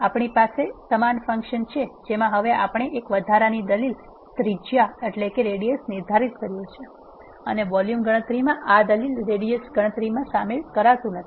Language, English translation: Gujarati, We have the same function we have defined now an extra argument radius in the function and the volume calculation does not involve this argument radius in this calculation